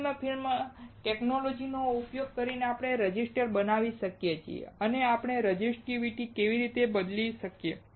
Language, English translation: Gujarati, We can make a resistor using thin film technology and how can we change the resistivity